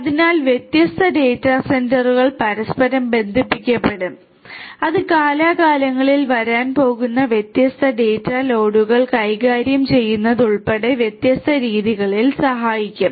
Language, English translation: Malayalam, So, different data centres will be connected to one another and that will help in different ways including handling the varying data loads that are going to come over time